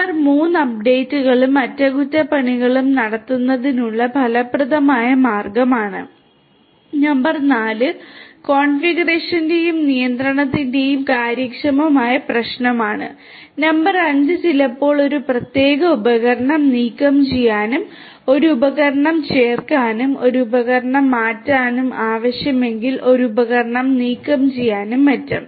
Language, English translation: Malayalam, Number 3 is efficient way of carrying out updations and maintenance, number 4 would be the issue of efficient way of configuration and control, number 5 would be if it is required sometimes it is required sometimes it is required to remove a particular device, to add a device, to change a device, to remove a device and so on